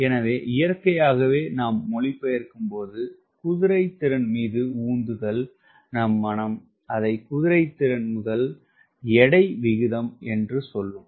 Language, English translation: Tamil, so naturally we, when you translate thrust horse, ah, mind, you say: what is horsepower towards ratio